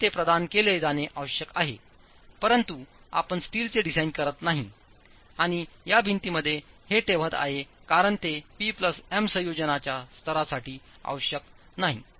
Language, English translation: Marathi, But you are not designing steel and placing it in this wall because it is not required for the level of P plus M combination